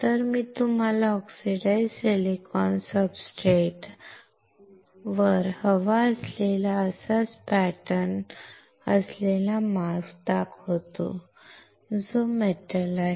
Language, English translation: Marathi, So, I will show you the mask which has the similar pattern that we want on the on the oxidized silicon substrate which is the metal